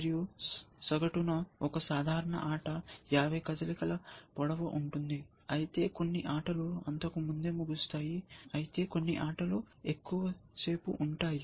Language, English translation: Telugu, And on the average, a typical game is 50 moves long, so average game of course, some games get over earlier some games can long last and so on